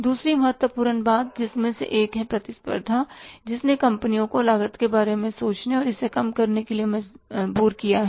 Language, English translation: Hindi, Second important thing is, means one is the competition which has forced the companies to think about the cost and reduce it